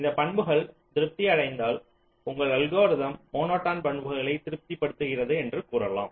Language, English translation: Tamil, if this property satisfied, you can say that your algorithm satisfies the monotonicity property